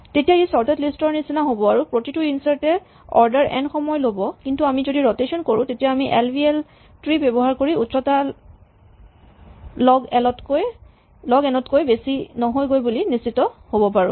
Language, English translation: Assamese, Then it becomes like a sorted list and every insert will take order n time, but if we do have rotations built in as we do, we could be using an AVL tree then we can ensure that the tree never grows to height more than log n